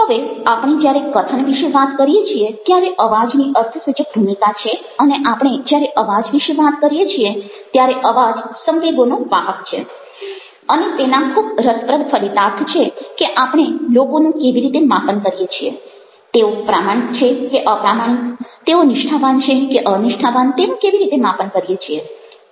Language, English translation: Gujarati, now, there, when we talk about speaking, voice will be play significant role, and when we talk about voice, voice manages to carry emotions and those have very interesting implications for how we assess people and how we assess whether their been honest, dishonest, sincere or in sincere